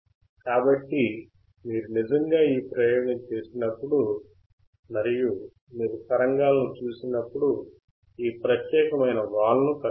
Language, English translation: Telugu, So, when you actually perform this experiment and you see the signal, then you will find this particular slope